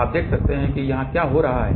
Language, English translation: Hindi, Now, let us see what is happening over here